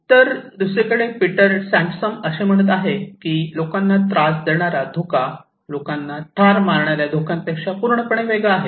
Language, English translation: Marathi, So, Peter Sandman, on the other hand is saying that risk that actually upset people are completely different than the risks that kill people